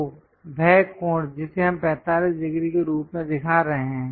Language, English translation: Hindi, So, that angle what we are showing as 45 degrees